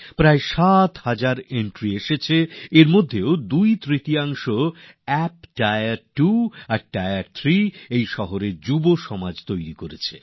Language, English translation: Bengali, Around 7 thousand entries were received; of these too, nearly two thirds have been made by the youth of tier two and tier three cities